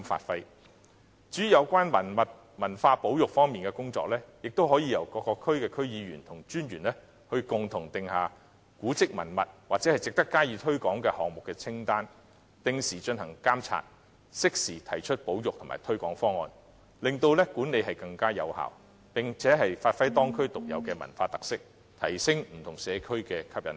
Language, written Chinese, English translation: Cantonese, 至於有關文物和文化保育方面的工作，亦可由各區區議員和文化專員共同訂立古蹟文物或值得加以推廣項目的清單，定時進行監察，適時提出保育和推廣方案，令管理更有效，並發揮當區特有的文化特色，提升不同社區的吸引力。, As regards conservation of heritage and culture a list of monuments and heritage items or projects worth promotion can be compiled by DC members and commissioners for culture in various districts which will be subject to regular supervision . Timely presentation of proposals for conservation and promotional schemes will also be made to increase management effectiveness display the cultural characteristics of the communities and enhance their appeal